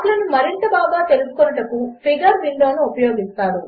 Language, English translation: Telugu, Use the Figure window to study plots better